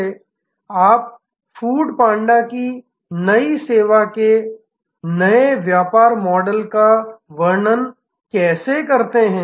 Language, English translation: Hindi, How do you describe the new service new business model of food panda